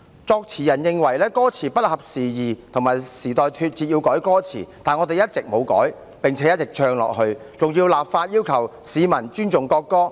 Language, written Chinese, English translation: Cantonese, 作詞人認為歌詞不合時宜，與時代脫節，要改歌詞，但我們一直沒有改，並且一直唱下去，更立法要求市民尊重國歌。, The lyricist considered the lyrics inopportune and out of touch with the times and there was a need to revise the lyrics . However we have not revised the lyrics and we have kept singing the song . We are now even enacting legislation to require people to respect the national anthem